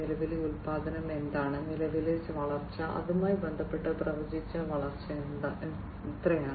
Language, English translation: Malayalam, What is the current, what is the current production, what is the current growth, and with respect to that how much is the predicted growth